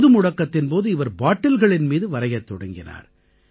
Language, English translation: Tamil, During the lockdown, she started painting on bottles too